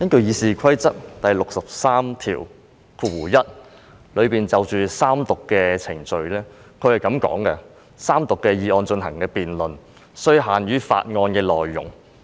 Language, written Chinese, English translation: Cantonese, 《議事規則》第631條就三讀程序所訂的規定是，"就該議案進行的辯論，須限於法案的內容"。, Rule 631 of the Rules of Procedure concerning the Third Reading procedure provides that [d]ebate on that motion shall be confined to the contents of the bill